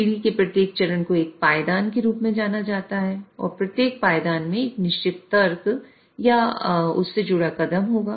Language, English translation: Hindi, And each rung will have a certain logic or step associated with it